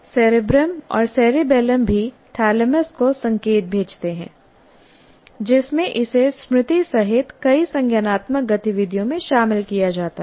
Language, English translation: Hindi, The cerebrum and cerebellum also send signals to thalamus involving it in many cognitive activities including memory